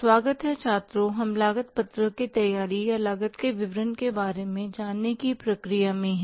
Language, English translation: Hindi, So, we are in the process of learning about the preparation of the cost sheet or the statement of the cost